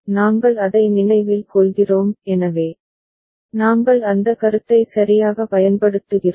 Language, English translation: Tamil, We remember that; so, we use that concept right